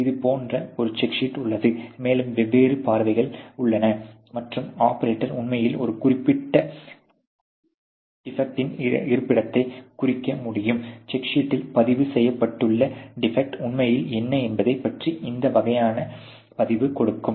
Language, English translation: Tamil, So, there is a check sheet like this, and there are different views and the operator can actually represent the location of a particular defect, and then you know give that this kind of a record what is really the type of the defect which is recorded on the check sheet